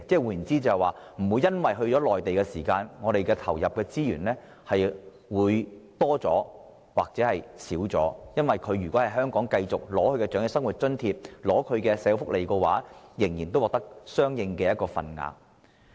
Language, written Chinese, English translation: Cantonese, 換言之，不會因為長者返回內地養老，而令我們投入的資源有所增加或減少，只要長者繼續在香港領取長者生活津貼、各項社會福利，他們仍可獲得相應的份額。, In other words there should be no increase or decrease in the resources we put in when some elderly persons have chosen to spend their twilight years on the Mainland and as long as elderly persons continue to receive the Old Age Living Allowance in Hong Kong they will still be able to get their due share of social welfare benefits here